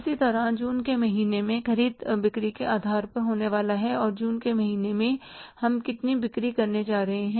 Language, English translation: Hindi, Similarly, purchases are going to be in the month of June depending upon the sales, how much sales we are going to make in the month of June